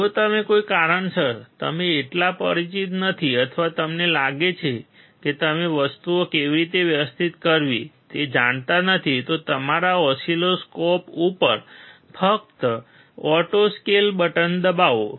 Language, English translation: Gujarati, In case out of any reason you are not so familiar or you feel that you don’t know how to adjust the things, just press auto scale button if there is one on your oscilloscope